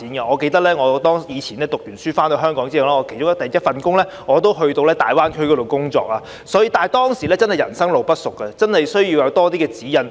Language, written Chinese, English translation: Cantonese, 我記得我以前唸完書回港後的首份工作是前往大灣區工作，當時真的是人生路不熟，真的需要有多些指引。, I remember the first job I had when I returned to Hong Kong upon graduation it was a job in the Greater Bay Area . I was neither familiar with the place nor the people and needed a lot of guidance at that time